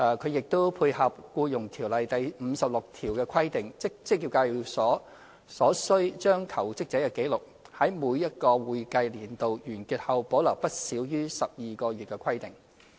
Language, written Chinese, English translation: Cantonese, 它亦配合《僱傭條例》第56條的規定，即職業介紹所須將求職者紀錄，在每個會計年度完結後保留不少於12個月的規定。, It also ties in with the requirement under section 56 of EO that employment agencies have to retain records of jobseekers for a period of not less than 12 months after the expiration of each accounting year